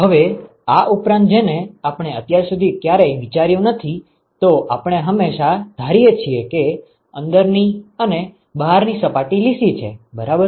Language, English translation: Gujarati, Now, in addition to that what we never considered so far is we always assume that the inside and the outside surfaces are smooth, ok